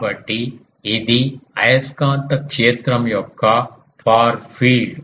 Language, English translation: Telugu, So, this is the far field of magnetic field